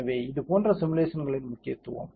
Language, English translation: Tamil, So, that is the importance of such simulations